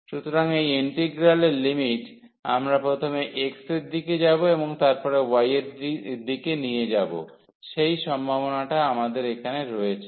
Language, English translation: Bengali, So, the limits of this integral; here we have the possibility whether we take first in the direction of x and then in the direction of y it does not matter